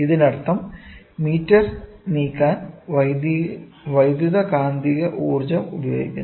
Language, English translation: Malayalam, This means that electromagnetic energy is used to move the meter